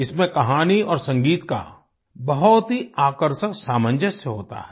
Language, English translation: Hindi, It comprises a fascinating confluence of story and music